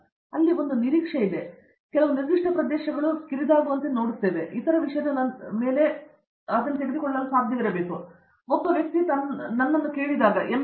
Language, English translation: Kannada, So, there, there is an expectation, they are narrowed down to some particular area, but then it should be possible for them to take up when the other thing later, because once that is what one person asked me once that if I come to do M